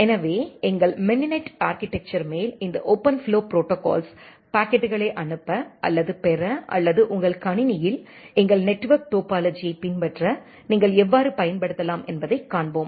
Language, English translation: Tamil, So, we will see that how you can utilize this OpenFlow protocol on top of our mininet architecture to send or receive packets or to emulate our network topology inside your computer